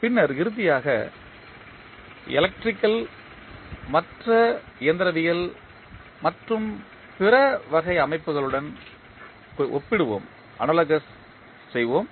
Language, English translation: Tamil, Then finally we will move on to comparison of electrical with the other mechanical as well as other types of systems